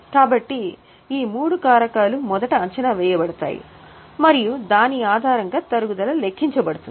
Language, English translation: Telugu, So, these three factors are first estimated and based on that the depreciation is calculated